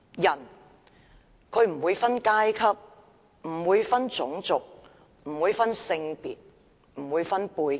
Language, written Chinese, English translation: Cantonese, 法治不會分階級、種族、性別和背景。, The rule of law knows no class race sex or background